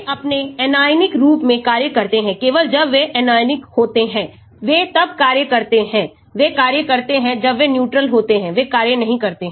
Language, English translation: Hindi, They act in their anionic form only when they are anionic, they act when they are neutral they do not act